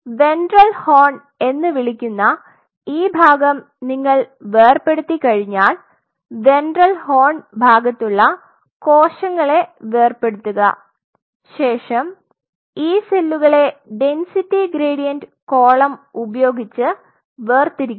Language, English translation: Malayalam, And once you dissect out this part which is called the ventral horn then you dissociate the cells of ventral horn and these cells then are being separated using density gradient column